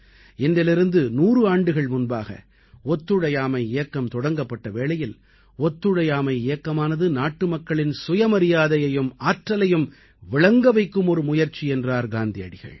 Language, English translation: Tamil, A hundred years ago when the Noncooperation movement started, Gandhi ji had written "Noncooperation movement is an effort to make countrymen realise their selfrespect and their power"